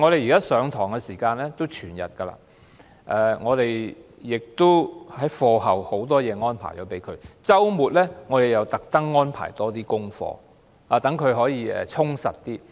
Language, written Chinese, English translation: Cantonese, 現時學生就讀全日制學校，課後的日程排得密密麻麻，周末又刻意被安排更多功課，讓他們更加充實。, Students are currently studying in whole - day schools and they have been arranged a fully packed schedule after school . On weekends they have been deliberately given more homework to make them busier